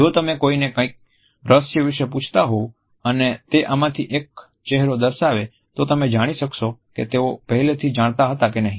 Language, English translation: Gujarati, If you are asking someone about a secret and they show either one of these faces, you can find out if they already knew